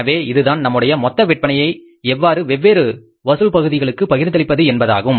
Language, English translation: Tamil, So, this is the way how you have to distribute your total sales collection part